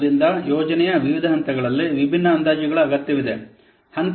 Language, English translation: Kannada, So, during different phases of the project, different estimates are required